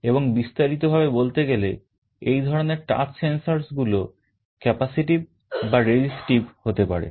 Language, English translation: Bengali, And broadly speaking this kind of touch sensors can be either capacitive or resistive